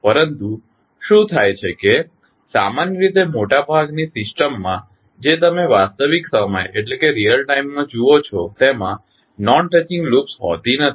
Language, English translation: Gujarati, But, what happens that the generally in most of the system which you see in real time do not have non touching loops